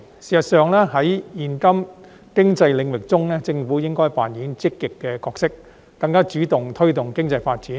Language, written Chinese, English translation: Cantonese, 事實上，在現今經濟領域中，政府應該扮演積極的角色，更主動地推動經濟發展。, Actually in terms of the current economic perspective the Government should play an active role to promote economic development in a more self - initiated manner